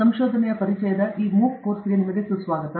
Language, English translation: Kannada, Welcome to this MOOC course on Introduction to Research